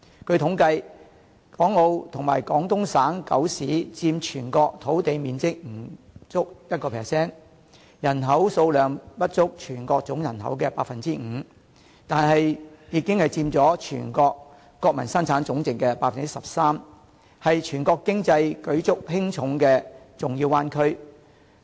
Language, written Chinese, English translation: Cantonese, 據統計，港澳及廣東省九市佔全國土地面積不足 1%， 人口數量不足全國總人口 5%， 但已經佔全國國民生產總值 13%， 是全國經濟舉足輕重的重要灣區。, According to statistics Hong Kong Macao and the nine cities in Guangdong Province together occupy less than 1 % of the land area of the country and less than 5 % of the countrys total population but they account for 13 % of Chinas Gross National Product . Together they form the important Bay Area that is indispensable to the national economy